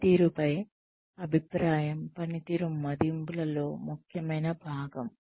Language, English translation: Telugu, Feedback on performance is an essential part of performance appraisals